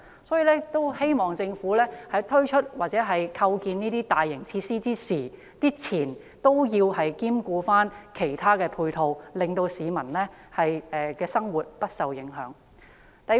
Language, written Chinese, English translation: Cantonese, 因此，我希望政府推出或興建這些大型設施之前，考慮提供其他配套措施和設施，令市民的生活不會因而受影響。, Therefore I hope that the Government will consider providing other support measures and facilities before launching or constructing these large - scale facilities so that the living of the citizens will not be affected